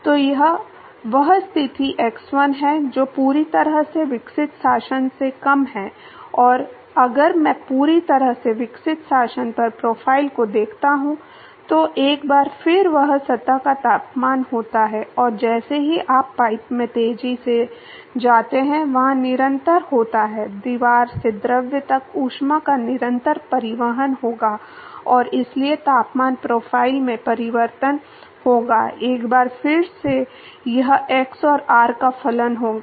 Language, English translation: Hindi, So, this is that position x1 which is less than, the fully developed regime and if I look at the profile at the fully developed regime, once again that is a temperature of the surface and as you go fast into the pipe there is continuous, there will be continuous transport of heat from the wall to the fluid and so there will be a change in the temperature profile, once again this will be a function of x and r